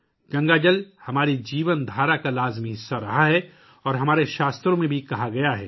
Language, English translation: Urdu, Ganga water has been an integral part of our way of life and it is also said in our scriptures